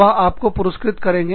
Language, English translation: Hindi, They will reward you